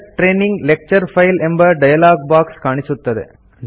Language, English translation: Kannada, The Select Training Lecture File dialogue appears